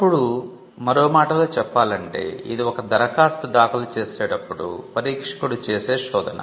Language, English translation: Telugu, Now in other words, this is a search that is done by an examiner when an application is filed